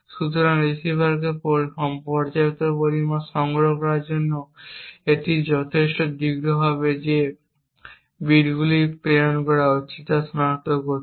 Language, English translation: Bengali, So, this would be long enough to procure the receiver sufficient amount of time to actually detect bits being transmitted